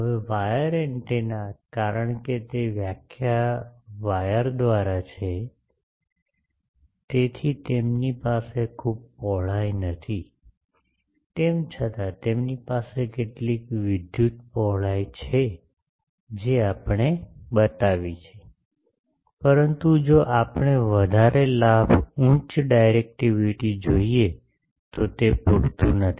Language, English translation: Gujarati, Now wire antenna, since they are by definition wire, so they do not have much width, though they have some electrical width that we have shown, but that is not sufficient if we want high gains, high directivity